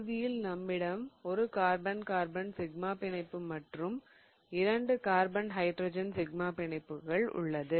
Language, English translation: Tamil, So, now I have formed a carbon sigma bond and two of the carbon hydrogen sigma bonds